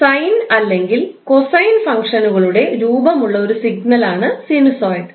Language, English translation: Malayalam, Sinosoid is a signal that has the form of sine or cosine functions